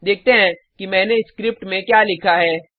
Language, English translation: Hindi, Let us look at what I have written inside this script